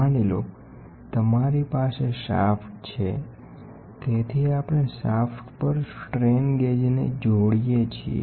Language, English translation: Gujarati, Suppose, you have a shaft, so, we stick strain gauges to the shaft